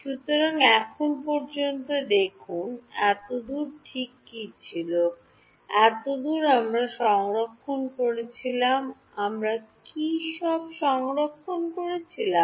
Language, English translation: Bengali, So, see so far what was so far ok so, so far we were storing, what all were we storing